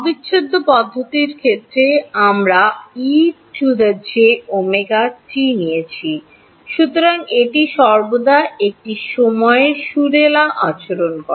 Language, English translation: Bengali, In the case of the integral methods we took e to the j omega t, so it always was having a time harmonic behavior